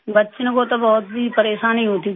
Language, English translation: Hindi, The children used to face a lot of trouble